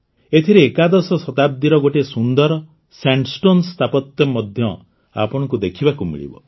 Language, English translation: Odia, You will also get to see a beautiful sandstone sculpture of the 11th century among these